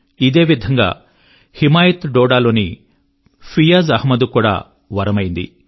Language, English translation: Telugu, Similarly, the 'Himayat Programme' came as a boon for Fiaz Ahmad of Doda district